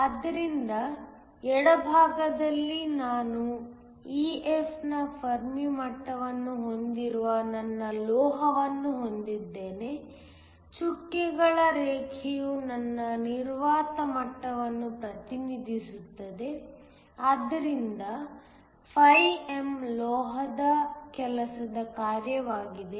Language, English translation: Kannada, So, On the left, I have my metal which has a fermi level of EF; the dotted line represents my vacuum level, so that φm is the work function of the metal